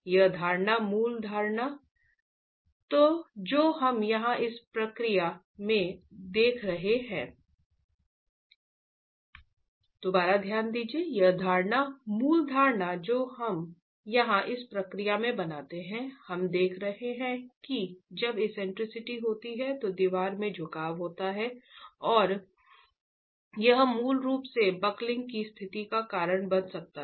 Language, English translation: Hindi, The assumption, the basic assumption that we make in this process here, we are looking at when you have eccentricity, there is bending in the wall and that can basically lead to a situation of buckling